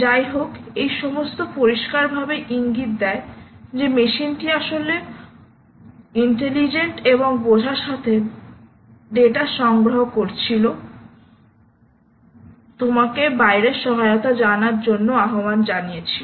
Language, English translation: Bengali, anyway, all of this clearly indicates that a machine was actually collecting data, interpreting, understanding, having intelligence and calling out, ah, you know, help and support